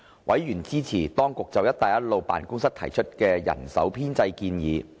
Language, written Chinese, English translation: Cantonese, 委員支持當局就"一帶一路"辦公室提出的人手編制建議。, Members supported the staffing proposals of the authorities for the Belt and Road Office